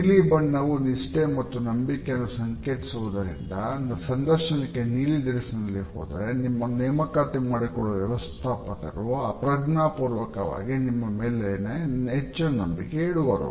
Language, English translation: Kannada, Now, the color blue is associated with loyalty and trust, so the simple act of wearing blue to the interview will make the hiring manager unconsciously trust you more